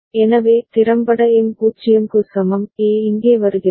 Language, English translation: Tamil, So, effectively M is equal to 0, A is coming here